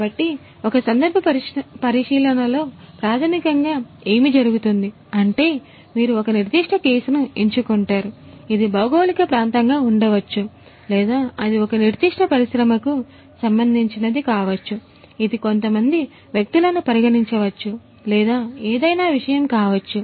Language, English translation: Telugu, So, in a case study basically you know what happens is you pick up a particular case which could be a geographical area or maybe you know it may concern a particular industry, it may consider a few individuals or whatever be the subject